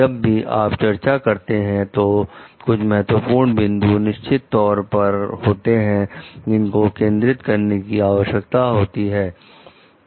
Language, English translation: Hindi, So, whenever we are discussing, there are certain like key points which needs to be focused on